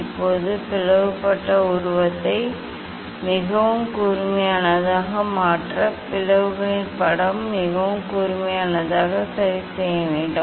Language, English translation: Tamil, now, you have to adjust this one to make the image of the slit is very sharp, to make the image of the slit very sharp